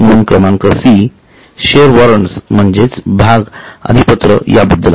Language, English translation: Marathi, In item number C it talks about share warrant